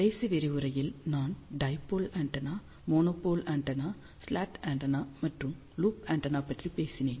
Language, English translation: Tamil, In the last lecture I have talked about dipole antenna, monopole antenna, slot antenna and loop antenna